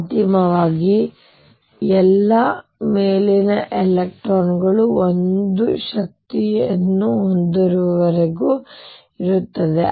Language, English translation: Kannada, Finally until all the uppermost electrons have the same energy